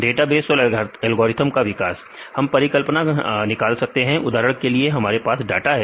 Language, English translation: Hindi, Development of databases and algorithms, we can derive some hypothesis for example, we have a data